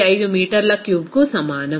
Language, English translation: Telugu, 415 meter cube